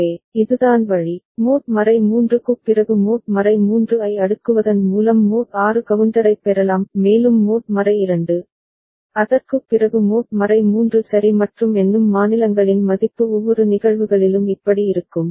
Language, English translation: Tamil, So, this is the way, you can get mod 6 counter by cascading mod 3, after that mod 2; and also mod 2, after that mod 3 ok and the counting states value will be like these in each of the cases